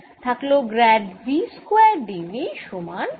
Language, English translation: Bengali, so i i am left with grade v square d v